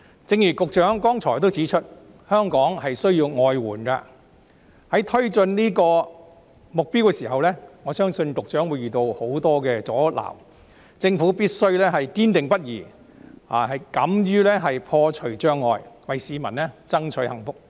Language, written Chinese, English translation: Cantonese, 正如局長剛才指出，香港需要外援，在推進這個目標的時候，我相信局長會遇到很多阻撓，政府必須堅定不移，敢於破除障礙，為市民爭取幸福。, As pointed out by the Secretary just now Hong Kong needs outside help . I believe that in advancing this goal the Secretary will encounter many obstacles . The Government must remain steadfast and dare to break down barriers in fighting for the well - being of the people